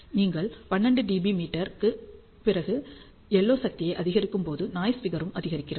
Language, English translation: Tamil, And you see that as you increase the LO power after 12 dBm the noise figure also increases which is undesired